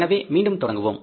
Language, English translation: Tamil, So again we will start with